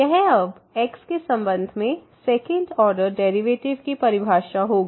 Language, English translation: Hindi, So, that will be the definition now of the second order derivative here with respect to